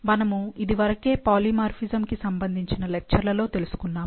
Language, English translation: Telugu, So, there are like, we have heard in the lectures about polymorphisms